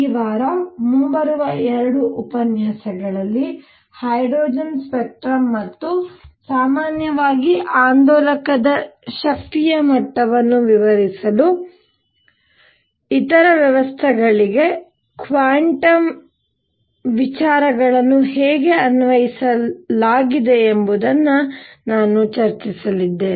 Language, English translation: Kannada, In the coming 2 lectures this week, I am going to now discuss how quantum ideas were also applied to other systems to explain say hydrogen spectrum and the energy level of an oscillator in general, and this sort of started building up quantum theory